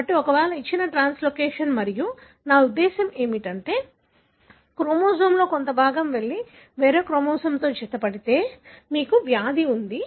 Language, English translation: Telugu, So, therefore if a given translocation and what I mean is that a part of the chromosome goes and attaches to some other chromosome, you have a disease